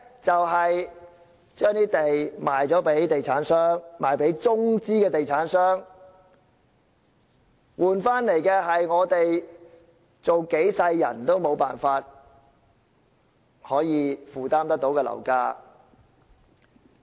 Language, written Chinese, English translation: Cantonese, 把土地賣給地產商，特別是中資地產商，換來的是即使我們做數輩子人也無法負擔的樓價。, Land is sold to real estate developers especially Mainland developers and what we get in return is property prices that we would not be able to afford even if we live several lives